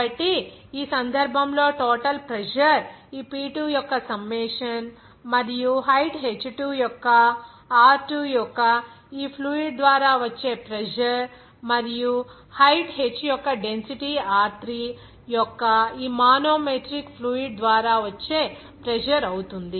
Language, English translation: Telugu, So, in this case, total pressure will be the summation of this P2 and pressure exerted by this fluid of Rho2 of height h2 and the pressure exerted by this manometric fluid of density Rho3 of height h